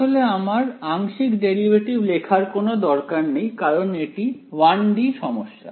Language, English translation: Bengali, In fact, this is there is no need for me to write partial derivates it is 1 D problem